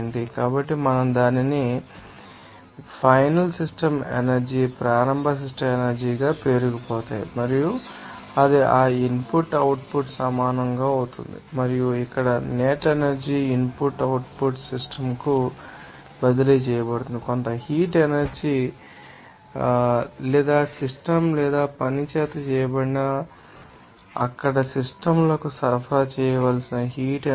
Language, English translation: Telugu, So, we can then represent it as the accumulation as final system energy initial system energy and it will be then equals to that input output like this and that what will be the net energy here input output that is transferred to the system like maybe you know that some heat energy or you know that work done by the system or work, heat energy to be supplied to the systems there